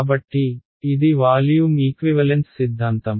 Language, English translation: Telugu, So, this was the volume equivalence theorems